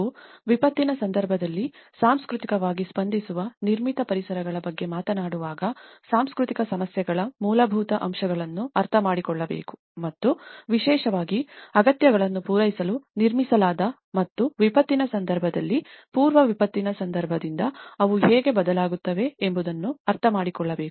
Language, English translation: Kannada, When we talk about the cultural responsive built environments in a disaster context, one has to understand the basics of the cultural issues and how especially, they are related to the built to meet needs and how they change from the pre disaster context during disaster and the post disaster context and over a long run process